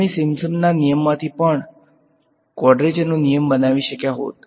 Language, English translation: Gujarati, We could as well have made a quadrature rule out of Simpson’s rule